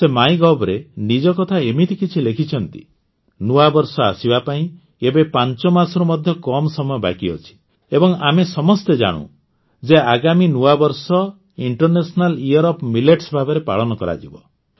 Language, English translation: Odia, She has written something like this on MyGov There are less than 5 months left for the New Year to come, and we all know that the ensuing New Year will be celebrated as the International Year of Millets